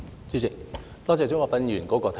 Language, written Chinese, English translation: Cantonese, 主席，多謝鍾國斌議員的提議。, President I thank Mr CHUNG Kwok - pan for his suggestions